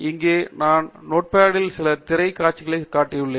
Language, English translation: Tamil, So here I have shown you some screen shots in Notepad